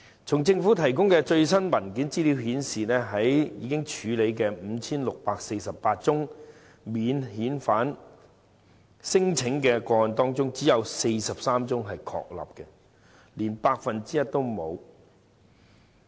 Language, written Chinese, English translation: Cantonese, 從政府提供最新的文件資料顯示，在已處理的 5,648 宗免遣返聲請個案中，只有43宗確立，連 1% 都沒有。, The latest Government papers show that of 5 648 cases of non - refoulement claims only 43 are confirmed which is less than 1 %